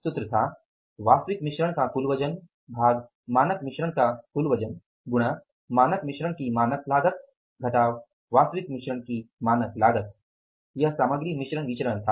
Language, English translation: Hindi, The formula was total weight of actual mix divided by the total weight of standard mix into standard cost of standard mix minus standard cost of actual mix